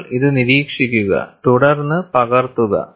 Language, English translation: Malayalam, You just observe this, then copy it